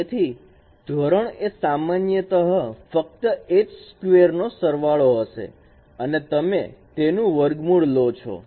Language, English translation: Gujarati, So norm would be simply the sum of its squares and you take the square root of this